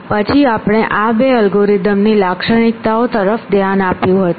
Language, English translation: Gujarati, Then we had looked at the properties of these two algorithms